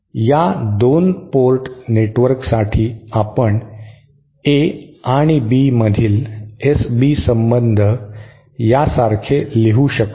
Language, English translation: Marathi, For this 2 port network we can write down the S B relationship between the As and Bs like this